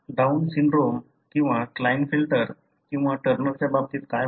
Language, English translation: Marathi, What happens in case of, for example Down syndrome or Klinefelter or Turner